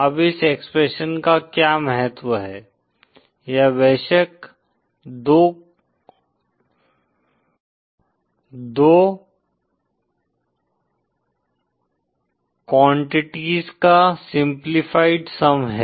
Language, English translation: Hindi, Now what is the significance of this expression, this is of course the simplified sum of two quantities